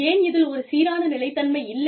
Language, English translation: Tamil, Why is there, no consistency